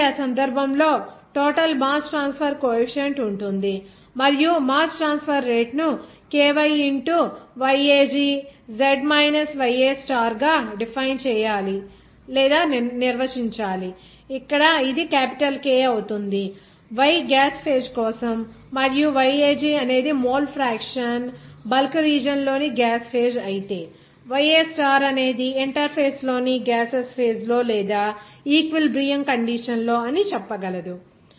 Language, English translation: Telugu, So, in that case the overall mass transfer coefficient will be there and the rate of mass transfer to be defined as Ky into YAG z minus YA star, here it will be capital K, Y is for gaseous phase and YAG is the mole fraction in the gaseous phase in the bulk region whereas YA star it will be represented as what is that in the gaseous phase in that interface or at the you can say that equilibrium condition